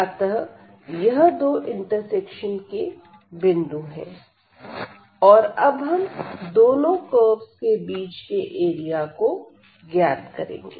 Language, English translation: Hindi, So, these are the two points and now we will compute the area of this region enclosed by these two curves